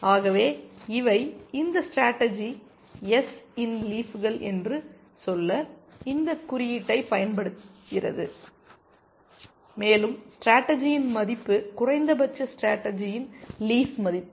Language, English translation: Tamil, So, I just use this notation to say that these are the leaves of the strategy S, and the value of the strategy is the minimum of the value of the leaf of this of the strategy